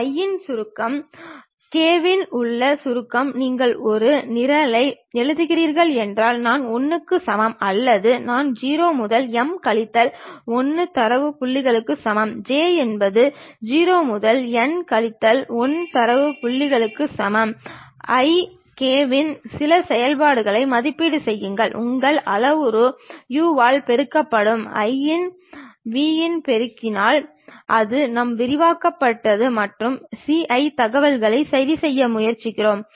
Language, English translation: Tamil, Summation on i, summation on k it is more like if you are writing a program for i is equal to 1 to or for i is equal to 0 to m minus 1 data points; for j is equal to 0 to n minus 1 data points, evaluate some function c of i comma k multiplied by your parametric u of i multiplied by v of k that is the way we expand that and try to fix c i informations